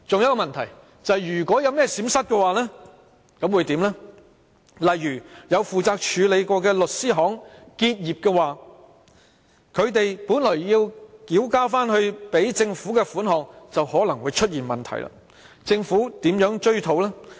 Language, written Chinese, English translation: Cantonese, 舉例而言，若有曾負責處理有關買賣的律師行結業，他們本來要繳回政府的稅款便可能會出現問題，政府如何追討？, For instance in case a law firm which handles property transactions has ceased business problems may arise with regard to returning the tax collected to the Government . How should the Government recover the money?